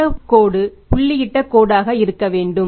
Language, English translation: Tamil, This line should be the dotted line